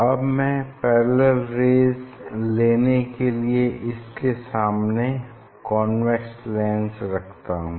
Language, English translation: Hindi, now I will put this lens here and I have to; I have to; I have to get parallel rays